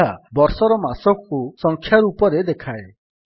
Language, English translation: Odia, It gives the month of the year in numerical format